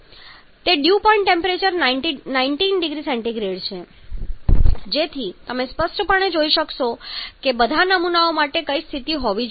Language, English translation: Gujarati, So, that the Dew Point temperature is 19 degree Celsius so you can clearly see which should be the case for all samples